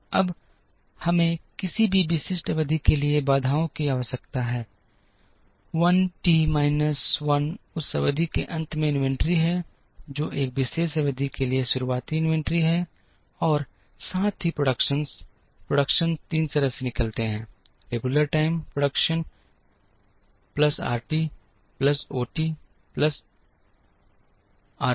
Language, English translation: Hindi, Now, we need the constraints for any typical period I t minus 1 is the inventory at the end of that period, which is the beginning inventory for a particular period plus the productions, the productions come out of three ways regular time production plus RT plus OT plus OUT of t